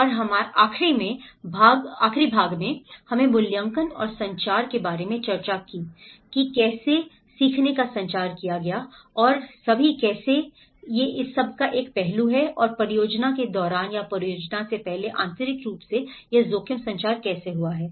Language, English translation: Hindi, And the last part, we are discussed about the assessment and the communication, how the learnings has been communicated and how all, that is one aspect of it and also internally during the project or before the project, how this risk communication has been